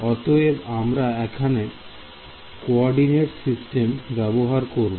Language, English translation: Bengali, So, let us take a coordinate system over here right